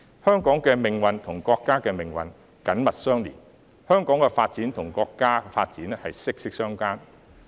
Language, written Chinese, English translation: Cantonese, 香港的命運與國家的命運緊密相連，香港的發展與國家的發展息息相關。, The fate of Hong Kong is closely linked to that of the country while the development of Hong Kong is closely related to that of the country